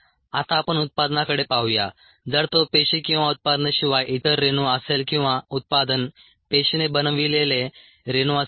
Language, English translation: Marathi, now let us look at the product, if it happens to be a another molecule apart from the cells, or the product, the molecule made by the cells